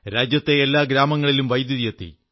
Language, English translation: Malayalam, Electricity reached each & every village of the country this year